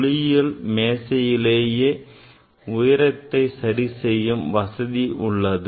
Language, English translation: Tamil, this your optical bench should not provision to adjust the height